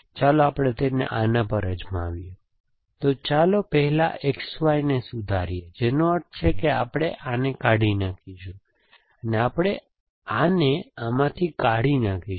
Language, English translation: Gujarati, Let us try it on this, so let us call revise X Y first, which means we are going to throw this away and we are going to throw this away from this essentially